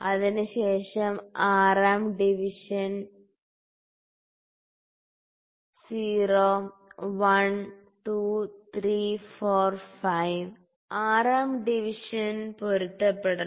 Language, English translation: Malayalam, After, that 6th division 0, 1, 2, 3, 4, 5, 6th division has to coincide